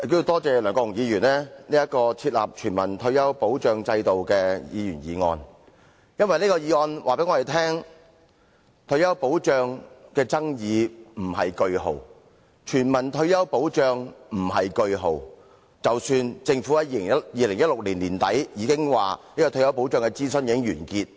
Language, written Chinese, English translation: Cantonese, 多謝梁國雄議員提出"設立全民退休保障制度"的議員議案，因為這項議案告訴我們，退休保障的爭議未劃上句號，而全民退休保障亦未劃上句號，儘管政府在2016年年底已表示退休保障的諮詢已經完結。, I thank Mr LEUNG Kwok - hung for proposing the Members Motion on Establishing a universal retirement protection system because this motion tells us that a full stop has been put to neither the controversy over retirement protection nor universal retirement protection notwithstanding the Governments claim in late 2016 that the consultation exercise on retirement protection had been concluded